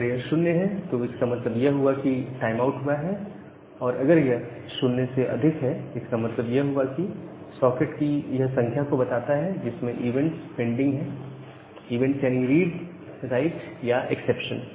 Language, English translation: Hindi, 0 means that the timeout has happened and greater than 0 means, that that the number of sockets that has the event pending like read write or exception